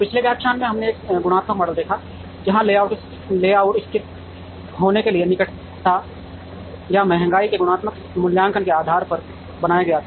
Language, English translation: Hindi, In the previous lecture, we saw one qualitative model, where the layout was made based on a qualitative assessment of the proximity or nearness of the departments to be located